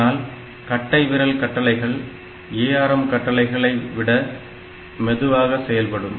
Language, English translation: Tamil, So, that way thumb instructions are going to be slower than the ARM instructions